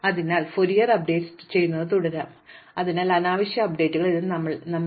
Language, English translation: Malayalam, So, we can keep doing spurious updates, so unnecessary updates and it does not hurt us